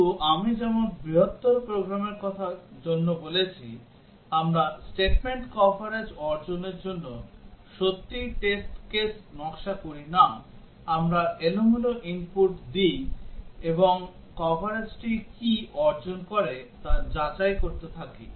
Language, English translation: Bengali, But as I said for larger programs, we do not really design test cases to achieve statement coverage, we give random input and keep on checking what is the coverage achieved